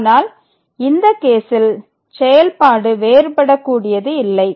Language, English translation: Tamil, So, the function is not differentiable in this case